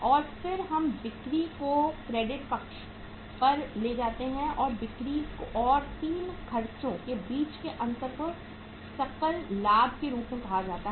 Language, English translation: Hindi, And then we take the sales on the credit side and the difference between the sales and these 3 expenses is called as the gross profit